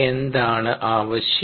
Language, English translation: Malayalam, what is need